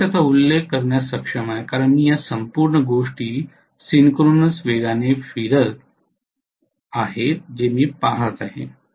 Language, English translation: Marathi, I am able to mention it only because I am looking at this whole thing rotating at synchronous speed